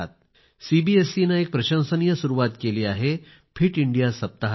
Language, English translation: Marathi, CBSE has taken a commendable initiative of introducing the concept of 'Fit India week'